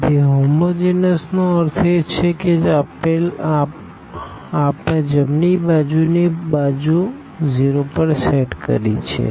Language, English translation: Gujarati, So, homogeneous means the right hand side we have set to 0